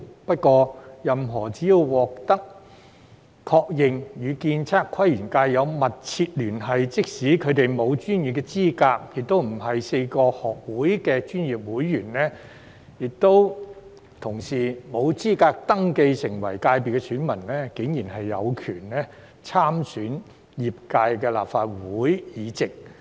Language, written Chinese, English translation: Cantonese, 不過，任何人只要獲確認與建測規園界有"密切聯繫"，即使他們沒有專業資格，又不是4個學會的專業會員，不合資格登記成為界別選民，卻竟然有權參選業界的立法會議席。, Yet the candidature for the seats representing the sector in the Legislative Council is open to anyone who is recognized to have substantial connection with the ASPL sector even though the person does not have the relevant professional qualifications nor is a member of the four institutes and thus not eligible to register as an elector for the sector